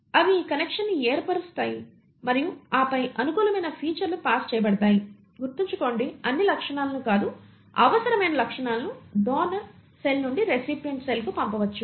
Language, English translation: Telugu, And they form this connection and then the favourable features are passed on, mind you, not all the features, the required features can be passed on from the donor cell to the recipient cell